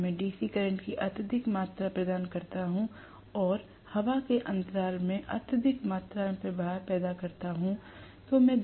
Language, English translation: Hindi, If I provide excessive amount of DC current and produce excessive amount of flux in the air gap